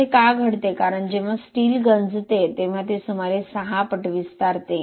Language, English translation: Marathi, Why it happens is because steel when it corrodes it expands by about 6 times